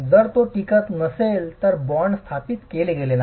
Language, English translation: Marathi, If it doesn't stay, bond has not been established